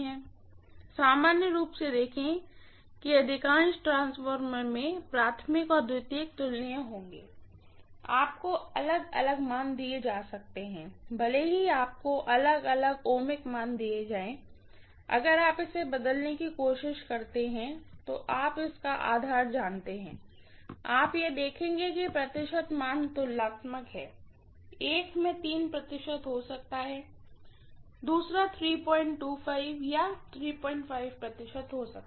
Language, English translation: Hindi, See normally in most of the transformers, the primary and secondary will be comparable, you might been having given different values, even if you are given different ohmic values, if you try to convert that into, you know its own base, you will see that the percentage values are comparable, that is one may have 3 percent, the other might be 3